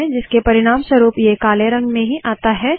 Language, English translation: Hindi, As a result, it just comes in black